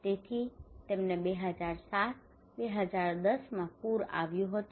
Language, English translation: Gujarati, So they had a flood in 2007 2010